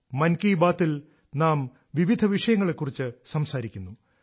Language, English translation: Malayalam, in Mann Ki Baat, we refer to a wide range of issues and topics